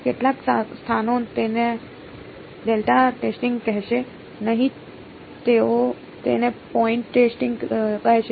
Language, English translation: Gujarati, Some places will not call it delta testing they will call it point testing